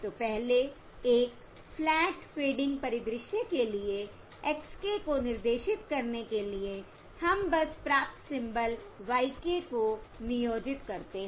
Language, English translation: Hindi, So previously, for a flat, fading scenario, to dictate x k, we simply employ the received symbol, y k